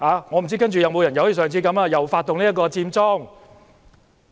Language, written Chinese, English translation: Cantonese, 我不知道屆時會否有人再次發動佔中。, I do not know if someone will initiate Occupy Central again